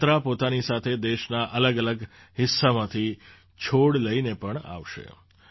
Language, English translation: Gujarati, This journey will also carry with it saplings from different parts of the country